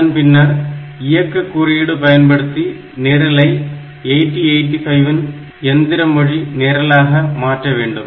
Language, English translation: Tamil, And using those opcode so, you can convert your program or it is in 8085 assembly language to the machine language program